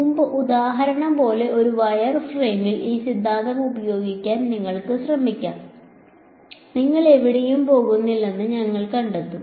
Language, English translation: Malayalam, You can try using applying this theorem on a wire frame like the previous example, you will find that you do not go anywhere